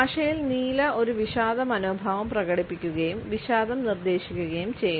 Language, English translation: Malayalam, The blue expresses a melancholy attitude and suggest depression